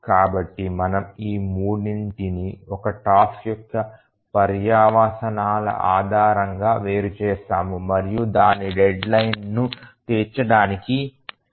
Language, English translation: Telugu, So, we distinguish between these three based on what is consequence of a task not meeting its deadline